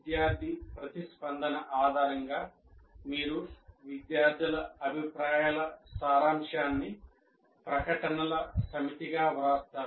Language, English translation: Telugu, And based on the student's response, you write a summary of the student feedback as a set of statements